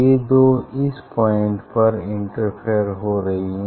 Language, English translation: Hindi, these two interfere at this point